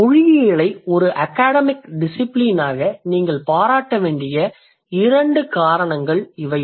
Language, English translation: Tamil, So these are just a few, just a couple of reasons why you should appreciate linguistics as an academic discipline